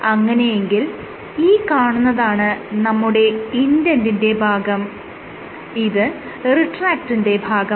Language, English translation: Malayalam, So, this is your indent portion and this is your retract